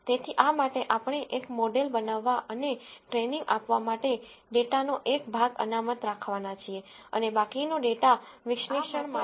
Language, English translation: Gujarati, So, for this we are going to reserve a part of the data for building a model and for training and the rest of the data will be kept for analysis